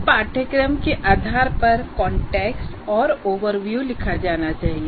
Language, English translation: Hindi, Now, based on this, the course context and overview should be written